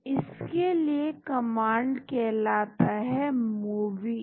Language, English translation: Hindi, So, that command is called movie